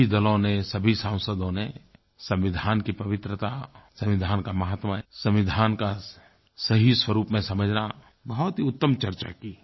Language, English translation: Hindi, All the parties and all the members deliberated on the sanctity of the constitution, its importance to understand the true interpretation of the constitution